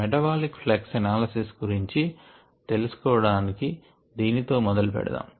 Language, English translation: Telugu, to know what metabolic flux analysisall about, let us start with this